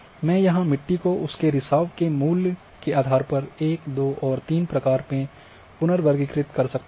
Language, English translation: Hindi, So,I can here soil type 1 2 3 have been reclassified based on their infiltration value